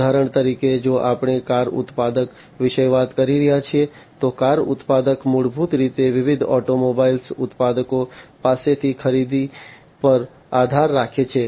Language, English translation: Gujarati, For example, you know if we are talking about a car manufacturer, so the car manufacturer basically heavily depends on the purchases from different automobile manufacturers